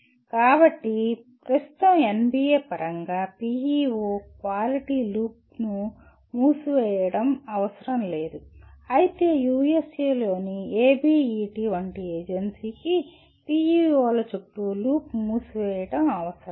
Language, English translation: Telugu, So at present NBA does not require closure of the PEO quality loop while an agency like ABET in USA will also require the closure of the loop around PEOs